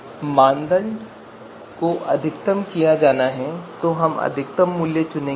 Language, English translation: Hindi, So the criterion is to be maximized then we will pick the maximum value